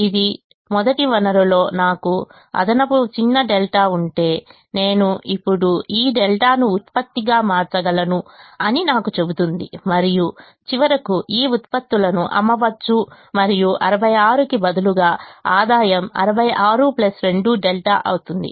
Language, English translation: Telugu, it tells me that if i have a small delta extra in the first resource, i can now convert this delta into a product and finally sell these product and the revenue instead of sixty six will become sixty six plus two delta